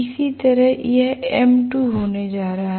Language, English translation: Hindi, Similarly, this is going to be m2